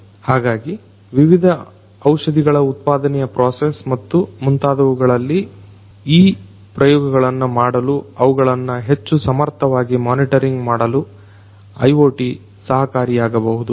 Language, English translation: Kannada, So, IoT can help, IoT can help in doing these trials for the production process of the different you know drugs and so on monitoring those in a much more efficient manner